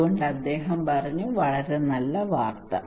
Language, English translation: Malayalam, So he said okay very good news